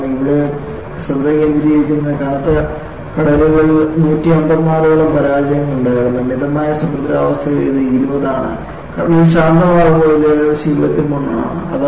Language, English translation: Malayalam, Because, the focus here is, there were failures in heavy seas about 154, in moderate sea condition it is about 20, when the sea is calm, it is about 23